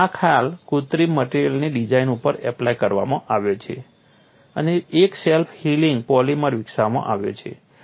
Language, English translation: Gujarati, So, this concept has been applied to synthetic material design and a self healing polymer has been developed